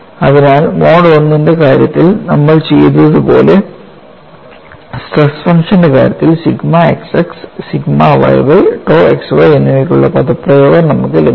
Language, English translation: Malayalam, So, based on that as we have done for the case of mode 1, we get the expression for sigma xx sigma yy tau xy